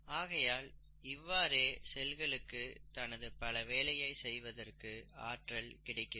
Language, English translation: Tamil, And this is how the cell gets its energy to do its various functions